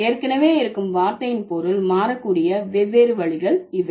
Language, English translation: Tamil, So, these are the different ways by which the meaning of an existing word might change